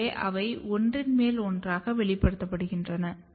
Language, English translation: Tamil, So, they express in the overlapping manner